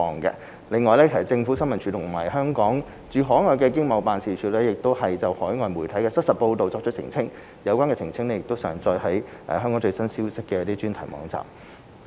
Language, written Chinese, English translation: Cantonese, 此外，政府新聞處和香港駐海外的經濟貿易辦事處亦就海外媒體的失實報道作出澄清，有關的澄清已上載於"香港最新消息"專題網頁。, In addition ISD and the Hong Kong Economic and Trade Offices overseas make clarifications on untrue reports by foreign media . Those clarifications have been uploaded on the Hong Kong Update thematic web page